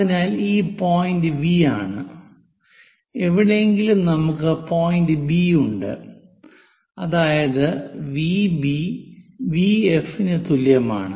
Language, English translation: Malayalam, So this point is V somewhere point B, such that V B is equal to V F